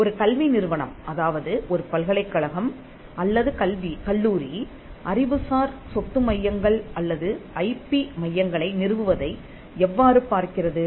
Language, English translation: Tamil, How does an educational institution a university or a college look at setting up intellectual property centres or IP centres